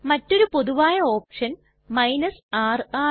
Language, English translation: Malayalam, The other common option is the r option